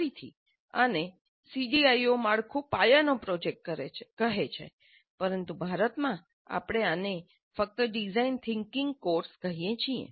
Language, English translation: Gujarati, Again, CDIO framework calls this as cornerstone project, but in India we are more used to calling this as simply a design thinking course